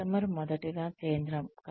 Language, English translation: Telugu, The customer is central